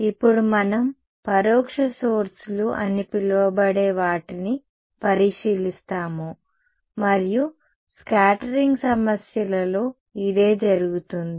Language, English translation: Telugu, Now, we will look at what are called indirect sources and this is what happens in scattering problems ok